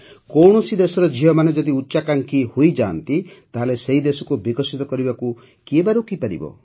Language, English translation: Odia, When the daughters of a country become so ambitious, who can stop that country from becoming developed